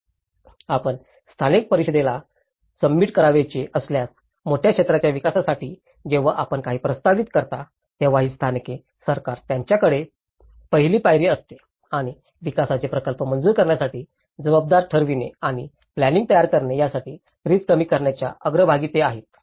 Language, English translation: Marathi, These local governments they have the first step when you propose something a large area development if you want to submit to the local council and that is where they are in the front line of the risk reduction in planning and building responsible for approving the development projects